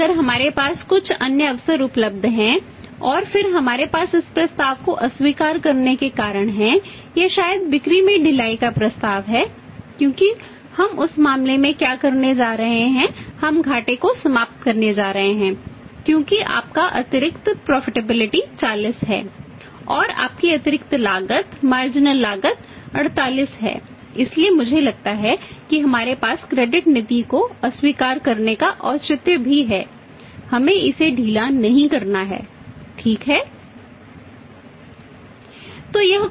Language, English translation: Hindi, But if we have some other opportunity available then we have the reasons also to reject this proposition or maybe the proposal to relax the saless because in that case what we are going to do in that case we are going to end up a loeses because your additional profitability is 40 and your additional cost marginal cost is 48 so I think we have also the justification to reject the credit policy relaxing decision we should not relax it right